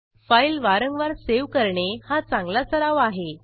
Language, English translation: Marathi, It is a good practice to save the file frequently